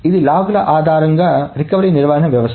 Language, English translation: Telugu, This is a recovery management system based on logs